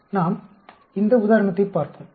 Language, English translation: Tamil, Let us look at a simple picture